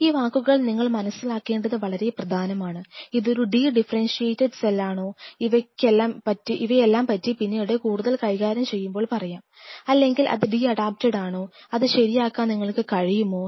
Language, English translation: Malayalam, These words are very important that we understand that is it a de differentiated cell we will come later when all these things we will be dealing more and more or is it de adapted could this de adaptation be rectified could you rectify the de adaptation